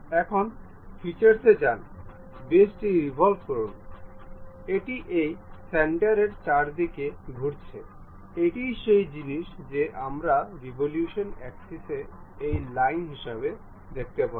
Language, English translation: Bengali, Now, go to features, revolve boss base, it is revolving around this centre one that is the thing what we can see axis of revolution as this line one